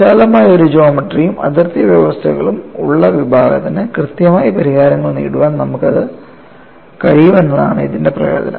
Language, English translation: Malayalam, The advantage is you will be in a position to get the exact solutions to a broader class of geometries and boundary conditions